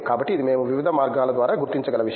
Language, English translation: Telugu, So, this is something we can figure out on the ways